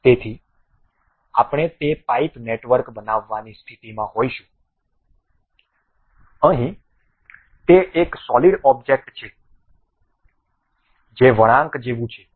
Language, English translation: Gujarati, So, we will be in a position to construct that pipe network; here it is a solid object it is more like a bent